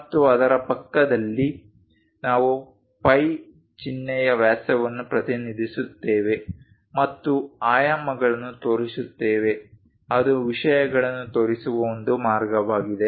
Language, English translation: Kannada, And next to it, we show the phi symbol diameter represents and the dimensioning that is one way of showing the things